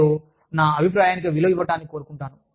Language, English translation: Telugu, And, i want my opinion, to be valued